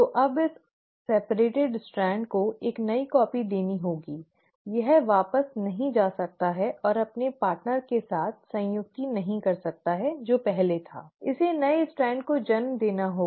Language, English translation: Hindi, So, now this separated strand has to give a new copy, it cannot go back and reanneal with its partner which was there earlier, it has to give rise to new strand